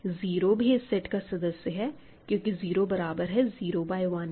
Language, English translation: Hindi, It also has 0 right because 0 can be thought of as 0 by 1